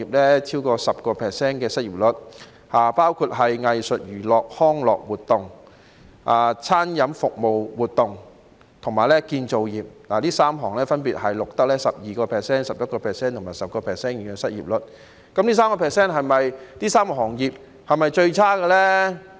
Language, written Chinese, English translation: Cantonese, 失業率超過 10% 的有藝術、娛樂及康樂活動業、餐飲服務活動業和建造業，這3個行業分別錄得 12%、11% 和 10% 的失業率，但這3個行業的情況是否最差呢？, Industries with an unemployment rate over 10 % are the arts entertainment and recreation sector the food and beverage service activities sector and the construction industry which have recorded unemployment rates of 12 % 11 % and 10 % respectively . But are these three industries in the worst shape?